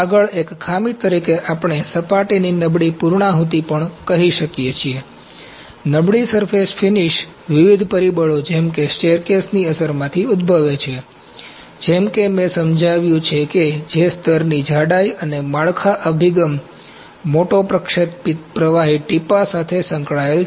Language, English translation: Gujarati, Next as a defect also we can say poor surface finish, poor surface finish originates from the different factors such as staircase effect, as I explained which is associated with layer thickness and building orientation, course deposit beads